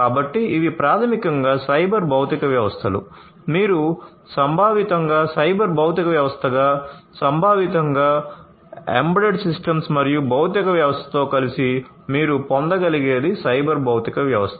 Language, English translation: Telugu, So, these are basically you know cyber physical systems are you can think of conceptually as cyber physical system, conceptually as you know embedded system embedded system plus the physical system together you what you get is the cyber physical system together what you get is the cyber physical system